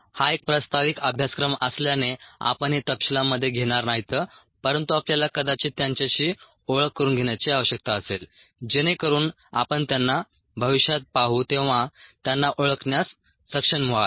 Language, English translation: Marathi, this being an introductory course, let's not get into the details, but you would need to probably be exposed them so that ah you will able to recognize them when you see them in the future